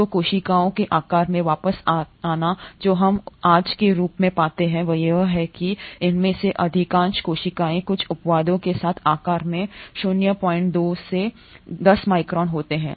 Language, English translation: Hindi, So, coming back to the size of the cells what we find as of today is that most of these cells with few exceptions, have a size in the range of 0